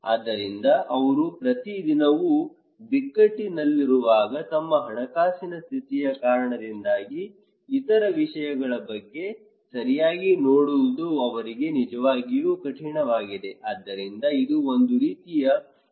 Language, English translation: Kannada, So, when they are every day at crisis because of their financial condition, it is really tough for them to look into other matter okay, so it is a kind of background risk